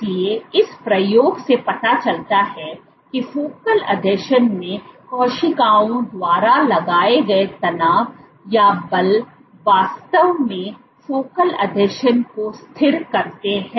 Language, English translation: Hindi, So, this experiment suggests that tension or force exerted by cells at focal adhesions actually stabilize the focal adhesion